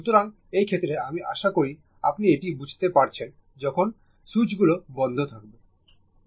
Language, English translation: Bengali, So, in this case I hope you will understand this right when both switches are closed right